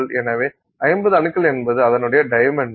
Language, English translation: Tamil, So, 50 atoms across is that dimension